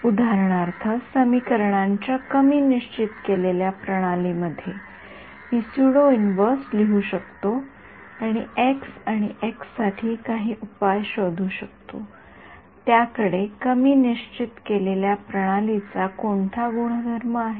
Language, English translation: Marathi, For example, in an underdetermined system of equations, I can write a pseudo inverse and get some solution for x and that x has what property an underdetermined system